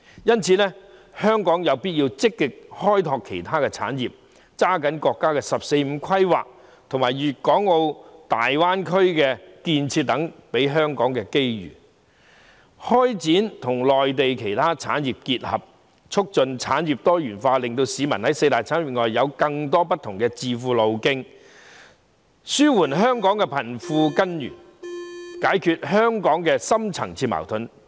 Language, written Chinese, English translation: Cantonese, 因此，香港有必要積極開拓其他產業，抓緊國家"十四五"規劃和粵港澳大灣區建設給予香港的機遇，與內地其他產業結合，促進產業多元化，令市民在四大產業以外有更多不同的致富路徑，應對香港的貧富懸殊的根源，解決香港的深層次予盾。, Therefore it is necessary for Hong Kong to actively explore other industries and seize the opportunities given to Hong Kong by the National 14th Five - Year Plan and the development of the Guangdong - Hong Kong - Macao Greater Bay Area to integrate with other industries in the Mainland and promote industrial diversification so that people can be better off through more different channels other than the four major industries . In this way while the root cause of wealth disparity in Hong Kong can be addressed the deep - rooted problems in Hong Kong can also be resolved